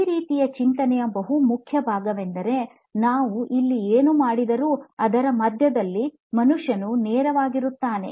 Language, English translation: Kannada, The most important part of this type of thinking is that the human is right at the centre of whatever we do here